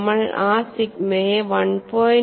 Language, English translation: Malayalam, We simply modified that sigma as 1